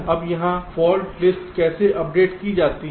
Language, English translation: Hindi, now how are the fault list updated here